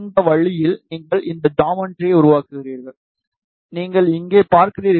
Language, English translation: Tamil, In this way, you will create this geometry, you see here